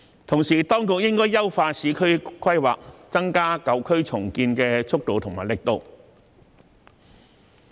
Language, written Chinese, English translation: Cantonese, 同時，當局應該優化市區規劃，增加舊區重建的速度和力度。, Meanwhile the authorities should enhance urban planning by expediting and stepping up the efforts to redevelop old areas